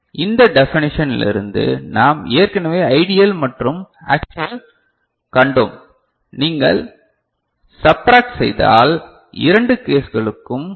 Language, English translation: Tamil, And so from this definition, we have already seen the ideal and actual, if you subtract, you get the INL for both the cases ok